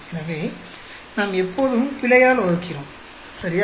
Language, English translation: Tamil, So, we have been all the time dividing by error, right